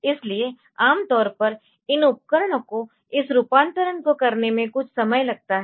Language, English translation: Hindi, So, normally this devices they take some time to for doing this conversion